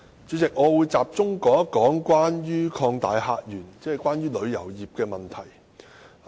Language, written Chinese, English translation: Cantonese, 主席，我會集中談談"擴大客源"，即關乎旅遊業的問題。, President I would focus on the discussion about opening up new visitor sources which relates to the tourism industry